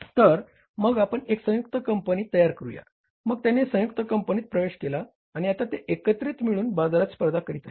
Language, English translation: Marathi, So they entered into a joint venture and now they are collectively they are competing in the market